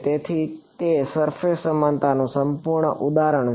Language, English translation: Gujarati, So, it is a perfect example of a surface equivalence